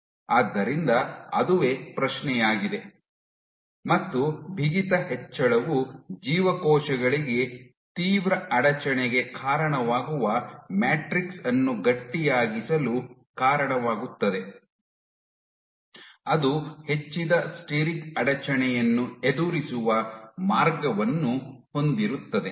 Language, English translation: Kannada, And it turns out that increase in stiffness leads to stiffening of the matrix that leads to steric hindrance for the cells, have a way of dealing with that increased steric hindrance